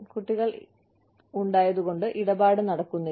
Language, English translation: Malayalam, Children not doing the deal